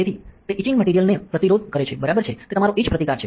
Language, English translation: Gujarati, So, it is resistant to the etching material right there is your etch resistance